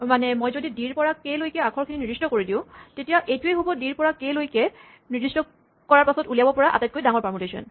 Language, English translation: Assamese, So, if I fix the letter from d to k then this the largest permutation I can generate with d to k fixed